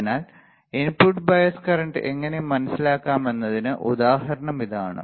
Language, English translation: Malayalam, So, this is the way how you can understand the input bias current ok